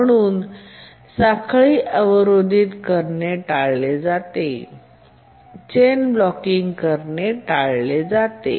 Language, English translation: Marathi, It prevents chain blocking